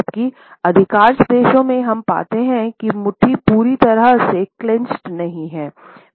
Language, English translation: Hindi, Whereas in most of the countries we would find that the fist is never totally clenched